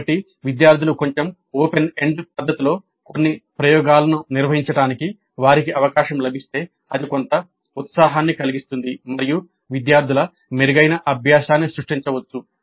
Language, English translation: Telugu, So the students if they get an opportunity to conduct some of the experiments in a slightly open ended fashion it may create certain excitement as well as better learning by the students